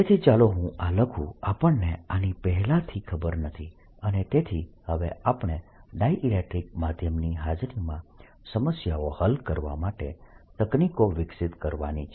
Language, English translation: Gujarati, this a priory, and therefore now we, we have to develop techniques to solve problems in presence of a dielectric medium